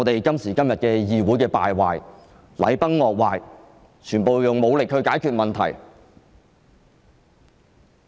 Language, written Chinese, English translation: Cantonese, 今時今日的議會便是如此敗壞，禮崩樂壞，全部用武力解決問題。, The Legislative Council today is corrupted . There is a collapse of traditional values and ethics and force is always used to solve problems